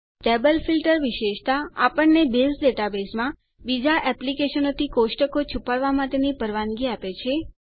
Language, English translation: Gujarati, Table Filter feature allows us to hide tables in a Base database from other applications